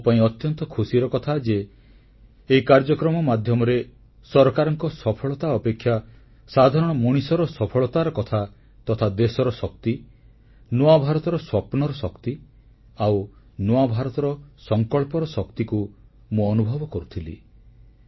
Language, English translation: Odia, I am glad that in this entire programme I witnessed the accomplishments of the common man more than the achievements of the government, of the country's power, the power of New India's dreams, the power of the resolve of the new India this is what I experienced